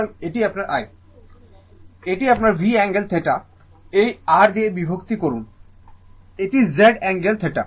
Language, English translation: Bengali, So, this is my i, so this is your V angle theta divide your divided by this R means, it is Z angle theta